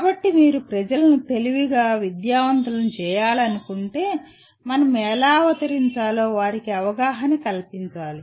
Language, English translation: Telugu, So if you want to educate people wisely, we must know what we educate them to become